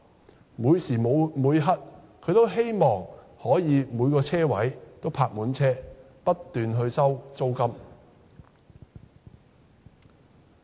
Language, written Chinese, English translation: Cantonese, 它無時無刻也希望每個車位也泊了車，不斷收取租金。, It hopes that all parking spaces are occupied at all times so that a constant flow of rental income can be pocketed